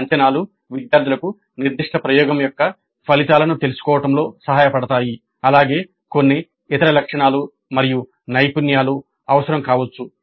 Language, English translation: Telugu, Now these assessments help the students know the outcome of that particular experiment as well as maybe some other attributes and skills that are required